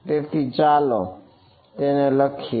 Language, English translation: Gujarati, So, let us write this how